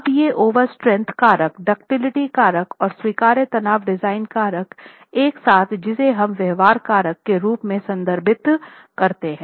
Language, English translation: Hindi, Now these put together the over strength factor, the ductility factor and the allowable stress design factor together is what we refer to as the behavior factor, right